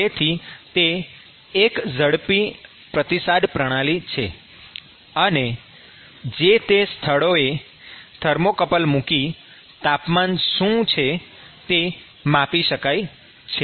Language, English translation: Gujarati, So, it is a fast response system and, you put a thermocouple in some location and then you can measure what is the temperature